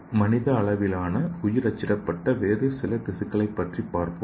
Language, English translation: Tamil, So let us see some of the other human scale bio printed tissue